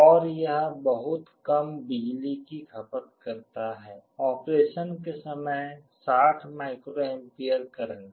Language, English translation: Hindi, And it also consumes very low power, 60 microampere current during operation